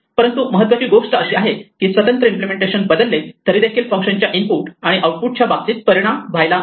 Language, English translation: Marathi, But the important thing is, changing the private implementation should not affect how the functions behave in terms of input and output